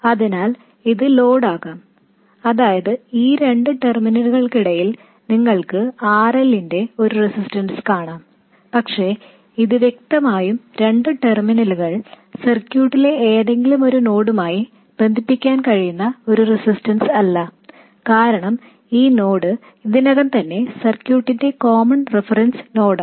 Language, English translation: Malayalam, I mean, between these two terminals you will see a resistance of RL, but clearly this is not a resistance whose two terminals can be connected to any two nodes in the circuit because this node is already the common reference node of the circuit